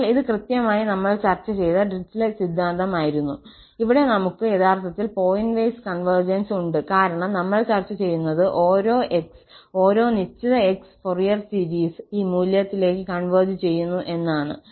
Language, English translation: Malayalam, So, this was exactly the Dirichlet theorem which we have discussed and there we have actually the pointwise convergence, because we are talking that for each x, for each fixed x, the Fourier series converges to this value